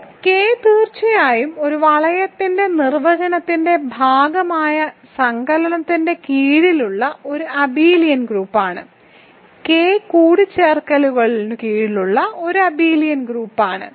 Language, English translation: Malayalam, Now, K is certainly an abelian group under addition that is part of the definition of a ring, K is an abelian group under addition